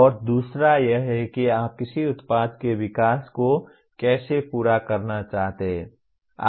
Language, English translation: Hindi, And the other one is how do you want to phase the development of a product